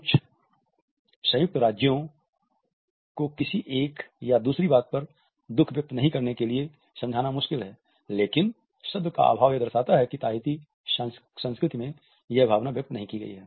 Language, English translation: Hindi, It is difficult for some united states to comprehend not expressing sadness at one point or another, but the absence of the word and the Tahitian symbolizes that emotion is not expressed in that culture